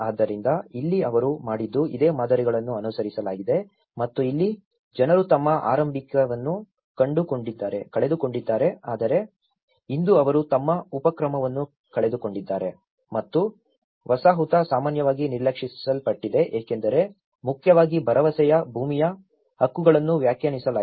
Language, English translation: Kannada, So, here, also what they did was the similar patterns have been followed and here, the people have lost their initial but today the situation is they lost their initiative and the settlement look generally neglected because mainly the promising land titles have not been defined